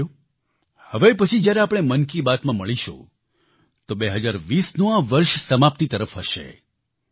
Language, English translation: Gujarati, Friends, the next time when we meet in Mann Ki Baat, the year 2020 will be drawing to a close